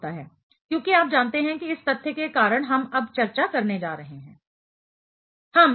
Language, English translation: Hindi, Because you know that is because of the fact which we are going to discuss now